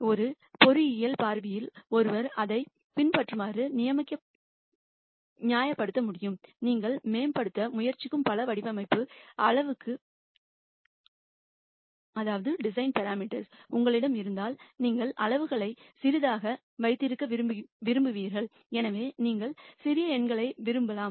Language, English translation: Tamil, From an engineering viewpoint one could justify this as the following;if you have lots of design parameters that you are trying to optimize and so on, you would like to keep the sizes small for example, so you might want small numbers